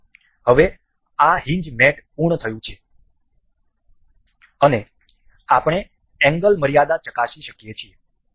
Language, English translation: Gujarati, So, now, this hinge mate is complete and we can check for the angle limits